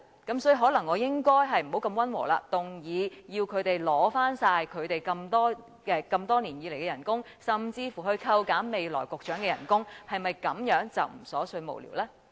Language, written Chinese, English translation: Cantonese, 所以，可能我應該不要如此溫和，而應動議要求他們交還多年來的薪酬，甚至扣減局長未來的薪酬，是否這樣便不瑣碎無聊呢？, Hence maybe I should not be so gentle . Instead I should move that their salaries over the years be surrendered or even the future salaries of the Bureau Secretaries be reduced . That way they would no longer be trivial and senseless right?